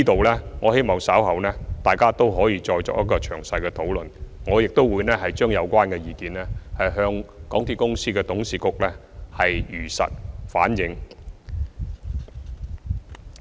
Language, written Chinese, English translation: Cantonese, 就此，我希望大家稍後可再作詳細討論，而我亦會將有關意見向港鐵公司的董事局如實反映。, In this connection I hope we can have a thorough discussion later and I will also relay the relevant views to the board of directors of MTRCL faithfully